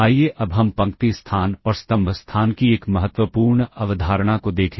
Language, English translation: Hindi, Let us now look at an important concept of, of the row space and column space